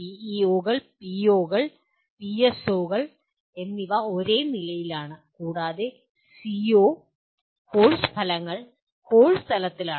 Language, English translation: Malayalam, These are PEOs, POs, and PSOs are at the same level and CO, Course Outcomes at the course level